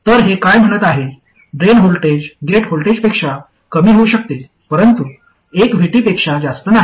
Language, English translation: Marathi, The drain voltage can go below the gate voltage but not by more than one VT